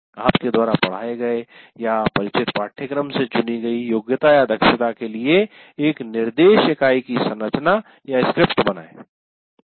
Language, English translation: Hindi, Create the structure or script of the instruction unit for a chosen competency from the course you taught are familiar with